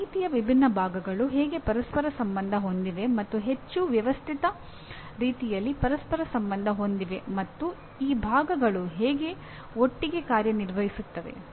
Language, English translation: Kannada, How the different parts or bits of information are interconnected and interrelated in a more systematic manner, how these parts function together